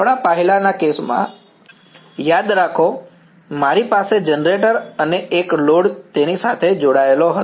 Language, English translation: Gujarati, Remember in our earlier case, I had the generator and one load connected across it